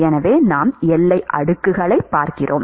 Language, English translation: Tamil, And we will look at boundary layer